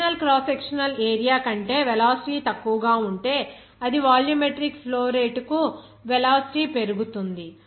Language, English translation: Telugu, If the velocity will be lower than the original cross sectional area, of course, that velocity will increase for the same volumetric flow rate